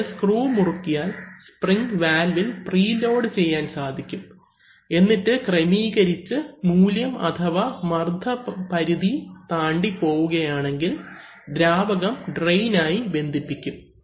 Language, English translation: Malayalam, So, if you tighten the screw, the spring can be pre loaded to a value and then at that adjustable, adjusted value if the pressure goes beyond that then the fluid will be connected to drain